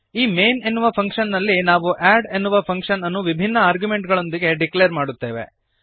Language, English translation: Kannada, In function main we declare the add function with different arguments